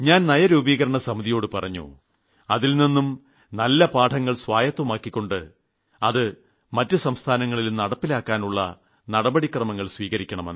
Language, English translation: Malayalam, And I have told the Niti Aayog that they should work on how to incorporate the best practices across all the states